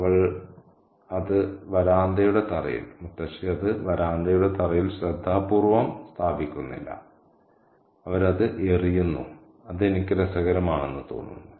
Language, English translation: Malayalam, She doesn't place it carefully on the floor of the veranda, she just throws it and that I think is interesting